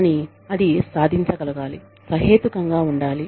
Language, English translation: Telugu, But, it has to be achievable